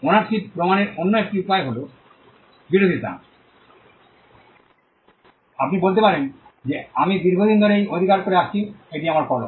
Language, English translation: Bengali, The other way to prove ownership is opposition, you could say that I have been possessing this for a long time, this is my pen